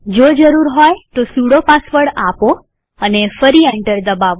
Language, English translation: Gujarati, press Enter Enter the sudo password and press Enter again